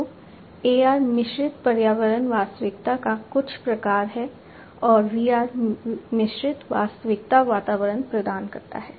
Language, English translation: Hindi, So, AR is some kind of mixed reality kind of environment VR provides mixed reality environment